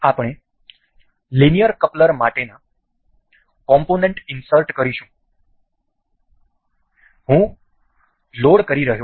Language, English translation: Gujarati, We will go to insert components for linear coupler; I am loading